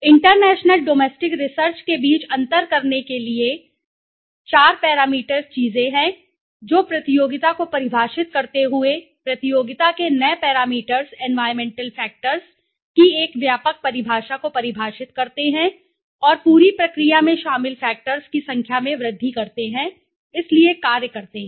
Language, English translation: Hindi, To the differences between international domestic research so there are the four parameter things which are described defining the competition a broader definition of the competition new parameters environmental factors and increasing the number of factors involved in the entire process so the functions